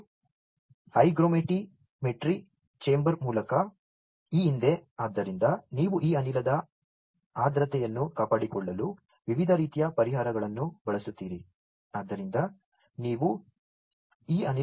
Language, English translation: Kannada, And this past through a hygrometry chamber, so you use different types of solutions to maintain the humidity of this gas